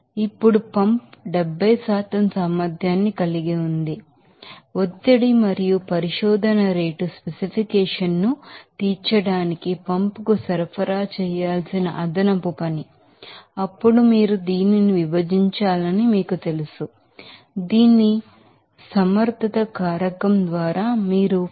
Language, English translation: Telugu, Now, the pump has an efficiency of 70% accordingly the extra work that must be supplied to the pump in order to meet the pressure and research rate specification, then you have to you know divide this you know 52